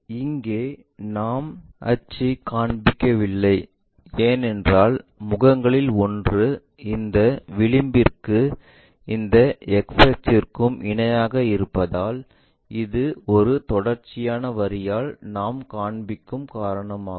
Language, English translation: Tamil, Here axis we are not showing because one of the face is parallel this edge and this x axis, ah axis, coincides that is the reason we are showing by a continuous line